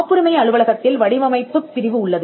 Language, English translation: Tamil, The patent office has a design wing, which grants the design